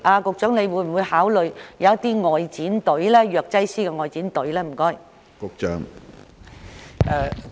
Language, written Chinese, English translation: Cantonese, 局長會否考慮為長者成立藥劑師外展服務隊？, Will the Secretary consider setting up an outreach pharmacist service team for the elderly?